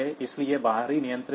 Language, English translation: Hindi, So, this is external control